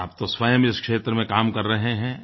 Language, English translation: Hindi, You are yourself working in this field